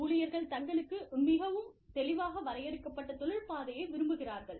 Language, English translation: Tamil, Employees want, very clearly defined career path, for themselves